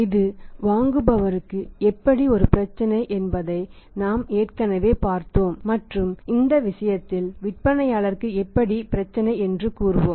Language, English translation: Tamil, We have already seen that how it is a problem to the buyer and in this case we will say how is the problem to the seller